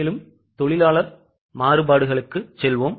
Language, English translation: Tamil, Now, let us go to labour variances